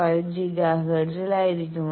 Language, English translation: Malayalam, 5 Giga hertz